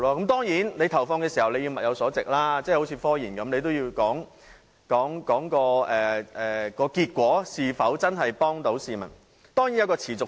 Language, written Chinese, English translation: Cantonese, 當然，投放時要物有所值，正如科研一樣，也要講求結果是否真的能幫助市民。, Certainly in allocating resources it is necessary to ensure value for money . Just like technological research the criterion is whether or not the results can benefit the public